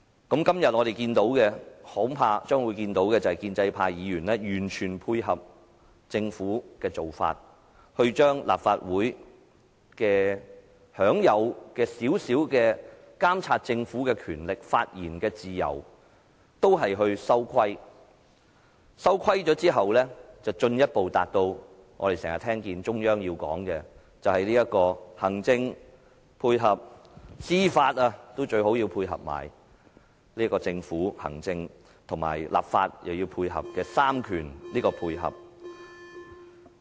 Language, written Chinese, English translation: Cantonese, 今天我們將會看到的，恐怕是建制派議員完全配合政府的做法，把立法會享有的少許監察政府的權力及發言自由收緊，然後便進一步達致我們經常聽到中央所說的"行政配合"，最好連司法也配合，達致政府的行政、立法及司法3權互相配合。, I am afraid we will have no choice today apart from witnessing the pro - establishment camps complete cooperation with the Government to constrain the Legislative Council by way of restraining the power still remained in it to monitor the Government as well as its freedom of speech . In effect this will further lead to a situation frequently referred to by the Central Authorities in which the Council works with the executive to carry out its agendas . It is even better if the judiciary also works in harmony to achieve cooperation among the three branches of government namely the executive legislature and judiciary